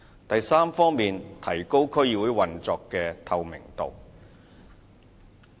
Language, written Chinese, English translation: Cantonese, 第三，提高區議會運作的透明度。, Third enhancing the transparency of operation of DCs